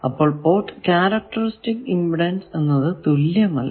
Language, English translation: Malayalam, So, port characteristics impedance is unequal